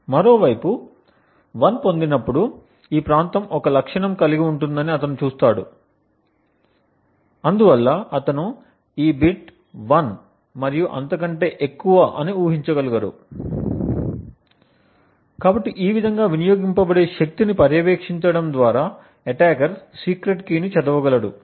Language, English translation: Telugu, On the other hand he sees that this region is a characteristic when 1 is obtained and therefore he would be able to deduce that this bit is 1 and so on, so in this way just by monitoring the power consumed the attacker would be able to read out the secret key through the power consumed by the device